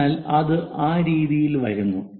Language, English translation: Malayalam, So, that comes in that way